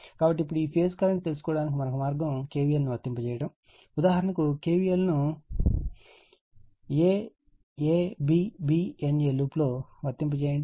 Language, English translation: Telugu, So, now another way to get this phase current is to apply KVL, for example, applying KVL around loop, so, aABbna right